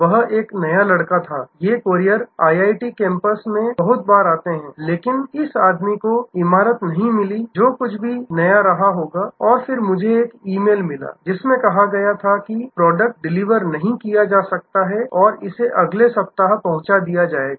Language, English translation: Hindi, He was a new guy, these couriers come very often to IIT campus, but this guy did not find the building must have been quite newer whatever and then, I got an email saying that the product could not be delivered and it will be delivered next week